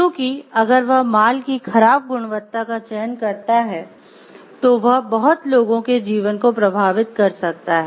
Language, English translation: Hindi, So, because whatever if this select a poor quality of goods, then it may affect the lives of so many people